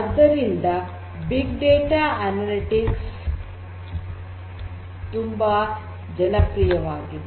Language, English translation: Kannada, So, big data analytics is very popular